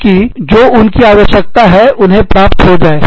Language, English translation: Hindi, So, that they can get, what they need